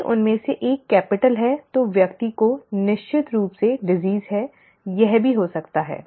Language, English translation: Hindi, If one of them is capital then the person definitely has the disease, that can also happen